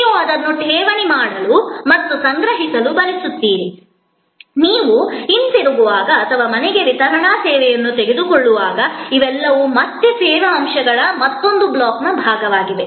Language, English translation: Kannada, You want to deposit it and collect it, when you are going back or pick up of home delivery service, all these are again part of the another block of service elements